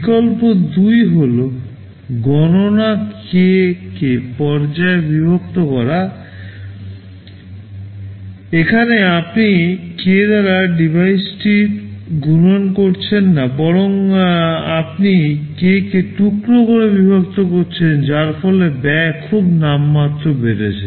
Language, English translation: Bengali, Alternative 2 is to split the computation into k stages; here you are not multiplying the hardware by k, rather the you are splitting it into k pieces resulting in very nominal increase in cost